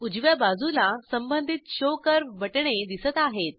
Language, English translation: Marathi, On the rightside corresponding Show curve buttons are seen